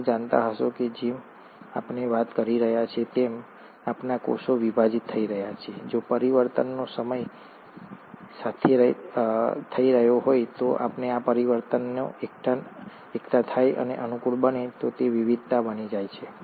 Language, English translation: Gujarati, For all you may know, as we are talking and as are our cells dividing, if mutations are taking place with time, and if these mutations accumulate and become favourable, it becomes a variation